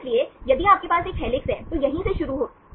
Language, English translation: Hindi, So, if you have a helix, it start from here right